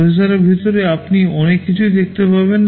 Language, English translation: Bengali, Inside the processor you can see so many things